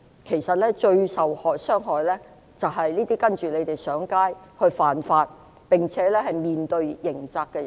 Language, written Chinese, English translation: Cantonese, 其實最受傷害的是這些聽從反對派呼籲上街犯法，並且面對刑責的人。, In fact those who get hurt the most are the ones who have listened to the calls of the opposition to go out and break the law as they have to face criminal responsibility